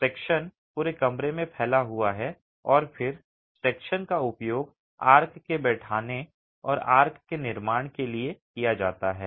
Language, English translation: Hindi, The eye section spans across the room and then the eye section itself is used for seating the arch and construction of the arch